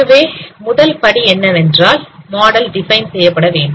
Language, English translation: Tamil, So first step is defined model